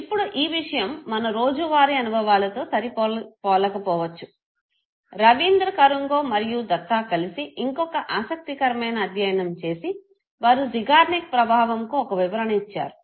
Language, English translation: Telugu, Now this might mismatch with our daily life experiences, another interesting study again by Rabindra Kanungo along with data they give an interpretation to the Zeigarnik effect, they said that the intensity of the emotion